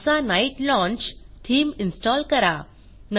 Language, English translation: Marathi, * Install the theme NASA night launch